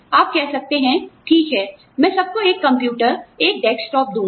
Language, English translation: Hindi, You can say, okay, I will give everybody, a computer, a desktop